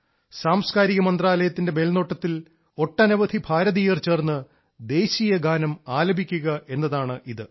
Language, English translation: Malayalam, It's an effort on part of the Ministry of Culture to have maximum number of Indians sing the National Anthem together